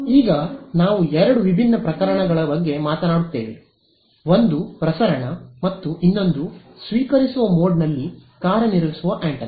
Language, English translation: Kannada, Now, there are two different cases that we will talk about: one is transmission and the other is the antenna operating in receiving mode